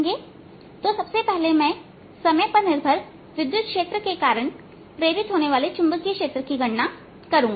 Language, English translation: Hindi, so first i am going to calculate the magnetic field induced due to this time dependent electric field